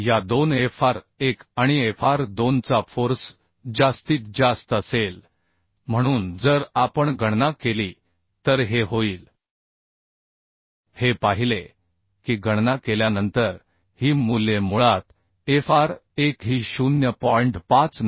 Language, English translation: Marathi, 473P so Fr value will be the maximum of means maximum force will be maximum of these two Fr1 and Fr2 so this will be if we calculate we have seen that after calculation these values are basically Fr1 was 0